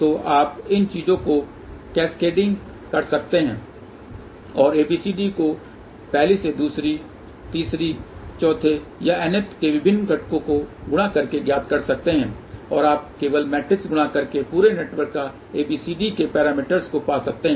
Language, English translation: Hindi, So, you can keep cascading these things and simply by multiplying ABCD of first to second to third or fourth or nth different components can be there and you can find ABCD parameters of the entire network simply by doing the matrix multiplication